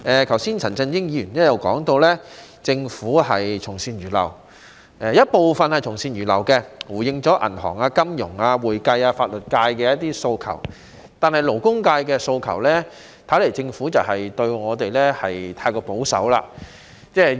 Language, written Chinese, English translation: Cantonese, 剛才陳振英議員也提到，政府的做法部分是從善如流，例如回應了銀行、金融、會計及法律界的一些訴求，但對我們勞工界的訴求，政府的回應似乎太過保守。, Mr CHAN Chun - ying also mentioned just now that the Governments approach is to a certain extent amenable to good advice for example it has responded to the demands of the banking financial accounting and legal sectors . However it seems that the Governments response to the demands of the labour sector is too conservative